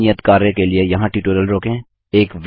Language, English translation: Hindi, Pause the tutorial here for this assignment